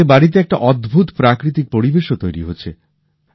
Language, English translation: Bengali, This has led to creating a wonderful natural environment in the houses